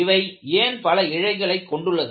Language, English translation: Tamil, Why you have cables made of several strands